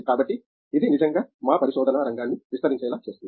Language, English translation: Telugu, So, that makes really expand our research area